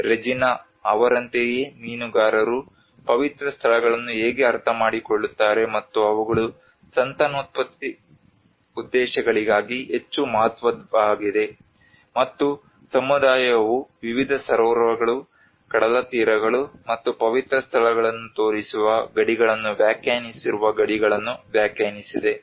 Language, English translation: Kannada, Like Regina have actually a map given how the fishermen they understand the sacred places you know which are more important for the breeding purposes and where the community have defined the boundaries where they have defined the boundaries showing different lakes, beaches and the sacred places